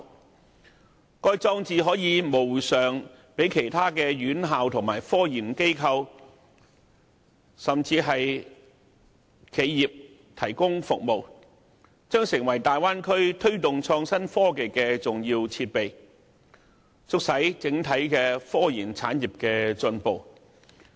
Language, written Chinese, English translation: Cantonese, 此外，該項裝置可以無償為其他院校、科研機構和企業提供服務，日後勢將成為大灣區推動創新科技的重要設備，促使整體科研產業進步。, Furthermore CSNS can provide services for other institutions scientific research institutions and enterprises free of charge . It will definitely become an important piece of equipment for promoting innovation and technology in the Bay Area and facilitating the overall progress of scientific research